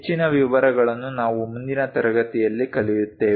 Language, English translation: Kannada, More details we will learn it in the next class